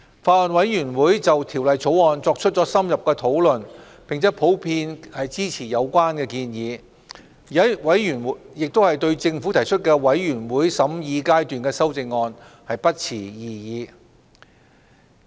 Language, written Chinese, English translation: Cantonese, 法案委員會就《條例草案》作出了深入的討論，並普遍支持有關建議。委員亦對政府提出的全體委員會審議階段修正案不持異議。, The Bills Committee having had an in - depth discussion on the Bill generally supports the proposal and Members have no objection to the Committee stage amendments put forward by the Government